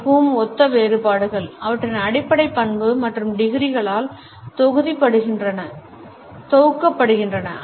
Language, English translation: Tamil, Most typical differentiations are grouped according to their basic characteristic and by degrees